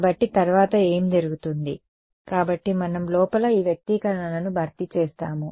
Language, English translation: Telugu, So, then what happens next, so we will substitute these expressions inside